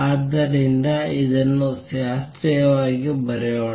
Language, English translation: Kannada, So, let us write this classically